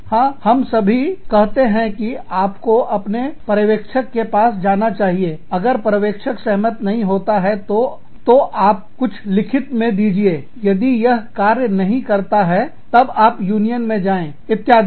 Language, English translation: Hindi, Yes, we all say that, you must go to your supervisor, if the supervisor does not agree, then you give something in writing, if that does not work, then, you go to a union, etcetera